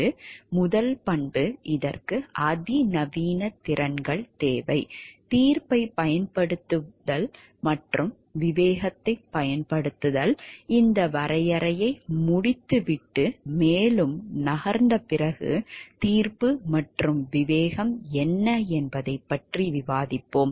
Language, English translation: Tamil, So, first attribute is it requires sophisticated skills, use of judgment and the exercise of discretion, we will discuss what judgment and discretion is after we finish of this definition and move further